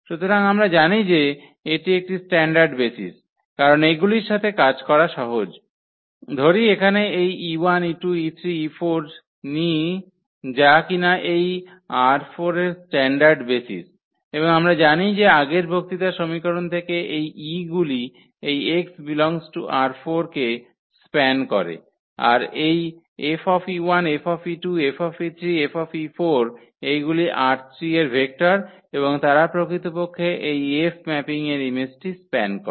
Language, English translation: Bengali, So, we know that these a standard basis because they are simple to work with, so let us take whether standard basis here that this e 1, e 2, e 3, e 4 these are the standard basis from R 4 and we know that the theorem that result from the previous lecture that these e s span this x R 4 than this F e 1, F e 2, F e 3, F e 4 these are the vectors in R 3 and they will span actually the image of this mapping F